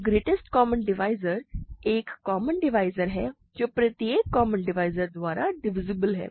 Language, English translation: Hindi, So, a greatest common divisor is a common divisor which is divisible by every common divisor